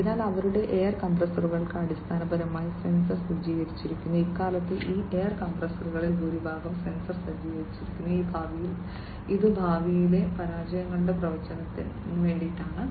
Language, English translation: Malayalam, So, their air compressors are basically sensor equipped, nowadays, most many of these air compressors are sensor equipped, which is in the prediction of future failures